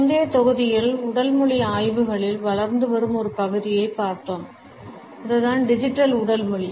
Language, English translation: Tamil, In the previous module, we had looked at an emerging area in the studies of Body Language and that was the Digital Body Language